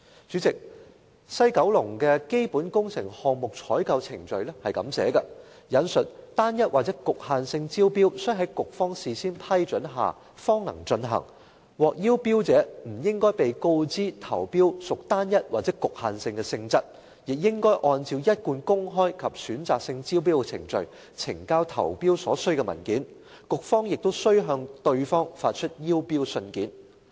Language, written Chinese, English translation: Cantonese, 主席，西九管理局的《基本工程項目採購程序》寫明，"單一或局限性招標須在局方事先批准下方能進行，獲邀標者不應被告知投標屬單一或局限性的性質，亦應按照一貫公開及選擇性招標的程序，呈交投標所須文件，局方亦須向對方發出邀標信件"。, President according to the Procurement Procedures for Capital Projects of WKCDA I quote Single or restricted tender procedures shall only be initiated with the prior approval of the relevant approving authority . Tenderers shall not be informed that tenders are being invited on a single or restricted basis and shall be required to submit their tenders in the same manner as open and selective tender procedures . Notice of tender invitation shall be sent by letter to the tenderers